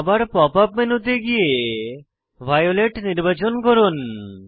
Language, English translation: Bengali, Using Pop up menu change the color to violet